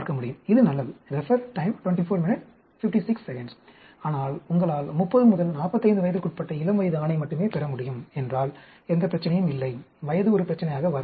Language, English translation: Tamil, That is a good , but if you can get only a adult male between the age of 30 to 45, then no problem, age will not come into the picture